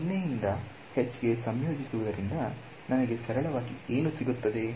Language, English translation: Kannada, So, integrating from 0 to h will simply give me a